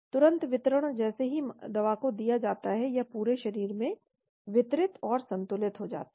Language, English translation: Hindi, Immediate distribution as soon as the drug is added immediately it gets distributed and equilibrated throughout the body